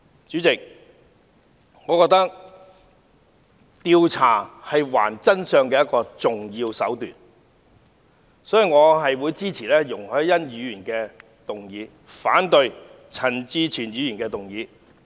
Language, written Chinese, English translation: Cantonese, 主席，我認為調查是還原真相的一個重要手段，所以，我會支持容海恩議員的議案，反對陳志全議員的議案。, President I think that an investigation is an important means for uncovering the truth so I will support Ms YUNG Hoi - yans motion but oppose Mr CHAN Chi - chuens motion